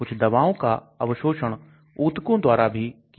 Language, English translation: Hindi, Some of the drug can even get absorbed in the tissues